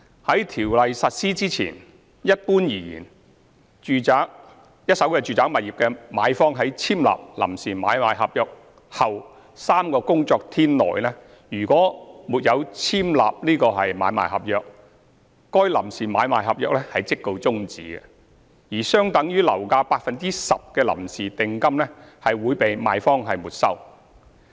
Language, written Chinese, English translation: Cantonese, 在《條例》實施前，一般而言，若一手住宅物業的買方在簽立臨時買賣合約後3個工作天內沒有簽立買賣合約，該臨時買賣合約即告終止，而相等於樓價的 10% 的臨時訂金會被賣方沒收。, Before the Ordinance has come into effect if a purchaser of a first - hand residential property did not execute ASP within three working days after signing PASP PASP would be terminated and normally a preliminary deposit equivalent to 10 % of the purchase price would be forfeited by the vendor